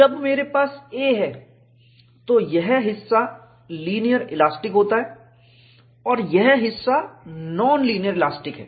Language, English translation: Hindi, When I have a, this portion is linear elastic, and this portion is non linear elastic